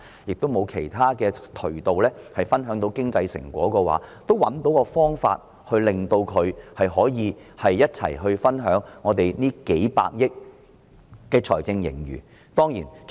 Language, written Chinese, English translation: Cantonese, 即使他們不能透過其他渠道分享經濟成果，我們也能找到方法與他們一同分享幾百億元的財政盈餘。, Even if they cannot enjoy the fruits of economic achievements in other ways we can still find ways to share the fiscal surplus amounting to tens of billions of dollars with them